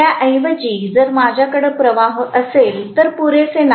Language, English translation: Marathi, Rather if I am going to have flux is not sufficient enough